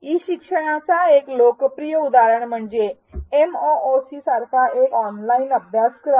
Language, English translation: Marathi, A popular example of e learning is an online course such as a MOOC